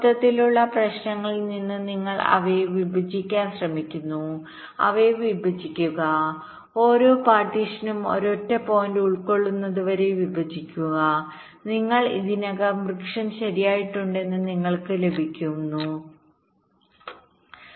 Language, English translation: Malayalam, you are trying to divide them, partition them, go on partitioning till each partition consist of a single point and when you get that you have already obtained the tree right